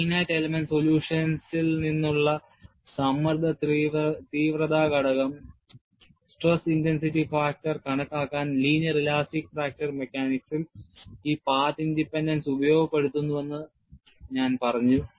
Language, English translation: Malayalam, We have seen its path independence and I said, this path independence is exploited in linear elastic fracture mechanics to calculate stress intensity factor, from finite element solution